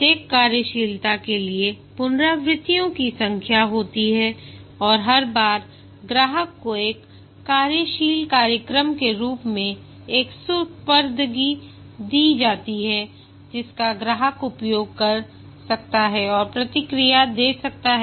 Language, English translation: Hindi, There are number of iterations for each functionality and each time a deliverable is given to the customer in the form of a working program which the customer can use and give feedback